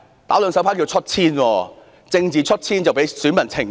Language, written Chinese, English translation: Cantonese, "打兩手牌"是"出千"作弊。政治"出千"會被選民懲罰。, It is a cheat to play two sets of cards and voters will punish those playing political cheats